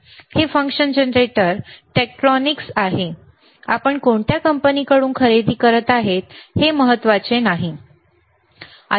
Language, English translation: Marathi, This function generator is from tTektronix again, it does not matter does not matter from which company you are buying, right